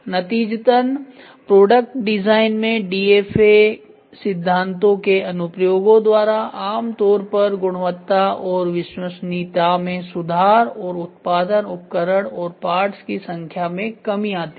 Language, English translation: Hindi, Consequently applications of DFA principles to product design usually results in improved quality and reliability and a reduction in the production equipment and part inventory